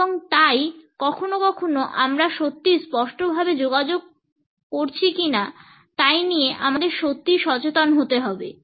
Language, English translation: Bengali, And so, sometimes we have to be really conscious of how are we communicating and are we really being clear